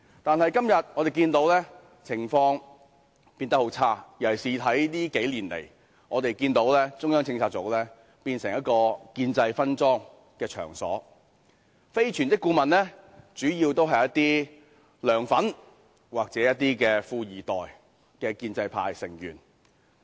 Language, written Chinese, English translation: Cantonese, 但是，今天我們看到情況變得很差，尤其近數年，我們看到中策組變成建制分贓的場所，非全職顧問主要是"梁粉"或"富二代"的建制派成員。, Today however we see that the situation has worsened gravely . In particular in the last few years we have seen CPU become a venue for the establishment camp to share the spoils . Its part - time members are mainly members of the establishment camp who are LEUNGs fans or the second generation of business tycoons